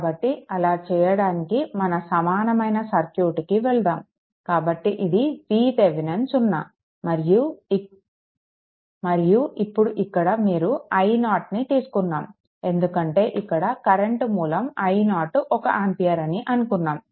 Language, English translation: Telugu, So, to do this so, let us go to that your equivalent circuit; so, it is V Thevenin is 0 and now here you have made i 0, that back because your one current source we have put it say i 0 is equal to 1 ampere say right